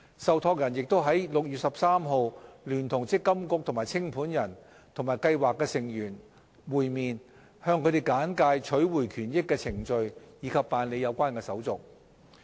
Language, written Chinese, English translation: Cantonese, 受託人亦已於6月13日聯同積金局及清盤人與計劃成員會面，向他們簡介取回權益的程序及辦理有關手續。, The trustee also met with scheme members on 13 June together with MPFA and the liquidator to explain the procedures for withdrawal of benefits and process relevant applications